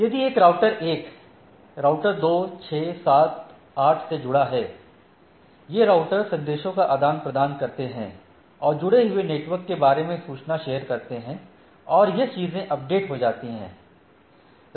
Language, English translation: Hindi, So, a if a router 1 is connected to the router 2 and router 6, 7, 8, so, these routers exchange messages who they are network they are connected, and the other things gets updated